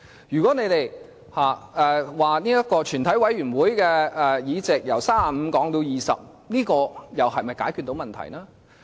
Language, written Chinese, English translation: Cantonese, 如果你們說，要將全體委員會的會議法定人數，由35人降至20人，這又是否解決到問題呢？, Even with the reduction of quorum required for the committee of the whole Council from 35 to 20 will the problem be solved?